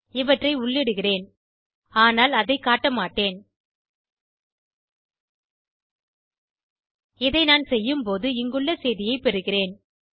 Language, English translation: Tamil, I will enter all this but i want to show you , The moment i do that i get the message given here